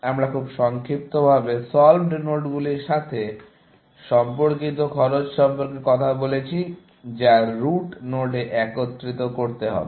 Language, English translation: Bengali, We have just very briefly, talked about the cost associated with solved nodes and which, have to be aggregated into the root node